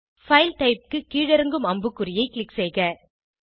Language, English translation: Tamil, For File type, click on the drop down arrow